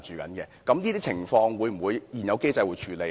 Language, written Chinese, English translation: Cantonese, 就這些情況，現有機制會否處理呢？, Will such instances be dealt with under the existing mechanism?